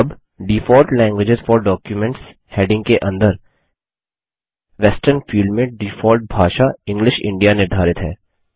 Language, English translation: Hindi, Now under the heading Default languages for documents, the default language set in the Western field is English India